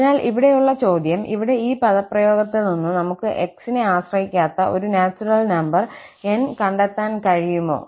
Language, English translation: Malayalam, So, the question here is out of this expression here, can we find a N which does not depend on x